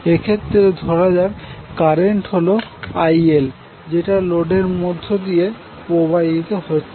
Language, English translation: Bengali, In this let us assume that IL dash is the current which is going to the load